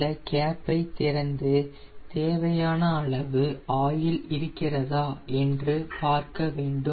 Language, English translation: Tamil, we will open this oil tank cap and ensure that the oil quantity is sufficient